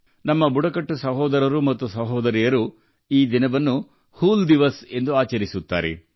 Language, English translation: Kannada, Our tribal brothers and sisters celebrate this day as ‘Hool Diwas’